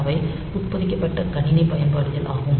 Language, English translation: Tamil, So, they are embedded system application